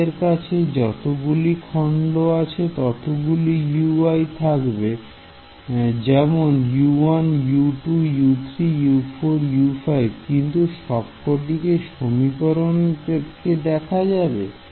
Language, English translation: Bengali, So, you see that I did not get all 5 all 5 U 1 U 2 U 3 U 4 U 5 I did not get in this one equation